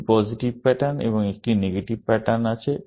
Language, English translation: Bengali, There are two positive patterns and one negative pattern